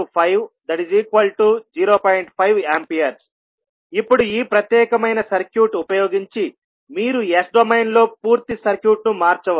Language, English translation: Telugu, Now, using this particular circuit you can transform the complete circuit in the S domain